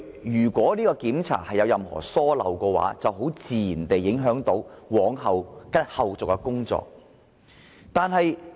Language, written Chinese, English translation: Cantonese, 如檢查有任何遺漏的話，必然會影響後續的工作。, Should there be any omission the procedures that follow will surely be affected